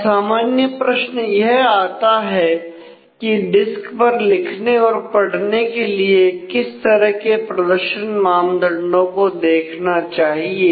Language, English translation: Hindi, Now basic question is for doing this read write on the disk what kind of performance measures we should look at